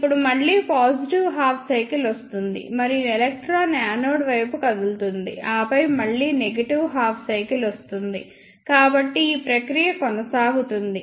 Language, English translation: Telugu, Now, again positive half cycle comes and electron will move towards anode, and then again negative half cycle, so like this this process goes on